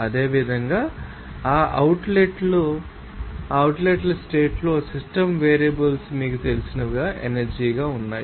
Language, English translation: Telugu, Similarly, at that outlet condition what are those you know system variables are there as an energy